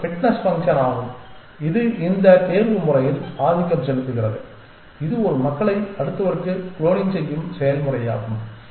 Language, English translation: Tamil, It is a fitness function which dominates this selection process that this process of cloning one population into the next